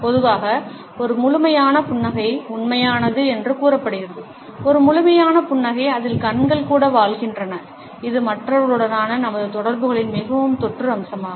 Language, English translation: Tamil, Normally, it is said that a full blown smile is genuine, a full blown smile in which the eyes are also lived up is perhaps the most infectious aspect of our interaction with other people